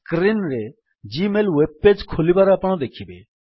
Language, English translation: Odia, Now you can see gmail web page opened on the screen